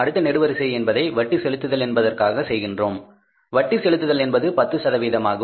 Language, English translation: Tamil, Next column we will have to make it that is the interest payment interest payment at the rate of 10 percent